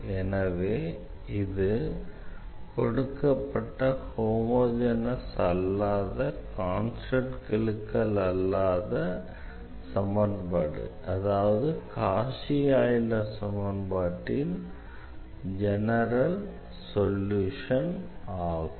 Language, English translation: Tamil, So, this serves as a general solution of the given non homogeneous equation with non constant coefficients or the Cauchy Euler equation